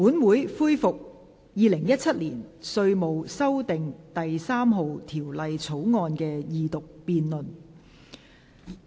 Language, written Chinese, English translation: Cantonese, 本會恢復《2017年稅務條例草案》的二讀辯論。, We resume the Second Reading debate on the Inland Revenue Amendment No . 3 Bill 2017